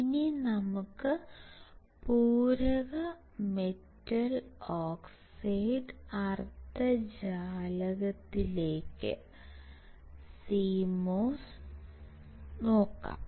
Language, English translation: Malayalam, Let us go to another point and that is your complementary metal oxide semiconductor